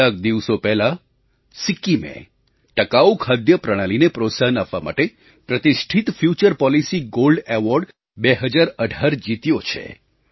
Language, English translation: Gujarati, A few days ago Sikkim won the prestigious Future Policy Gold Award, 2018 for encouraging the sustainable food system